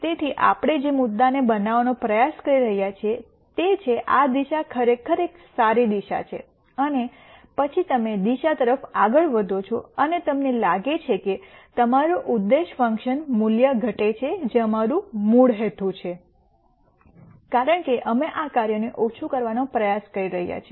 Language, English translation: Gujarati, So, the point that we are trying to make is this direction is actually a good direction and then you move in the direction and you find that your objective function value decreases which is what which was our original intent because we are trying to minimize this function